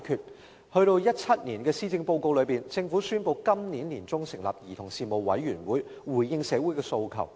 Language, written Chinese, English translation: Cantonese, 政府終於在2017年的施政報告中宣布，今年年中成立兒童事務委員會，以回應社會的訴求。, Finally the Government announced in the Policy Address 2017 that the Commission on Children would be established this year to answer calls in society